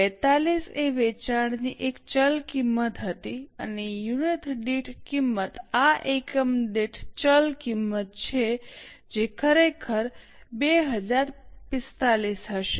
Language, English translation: Gujarati, 42 was a variable cost of sales and cost per unit this is the variable cost per unit actually will be 2045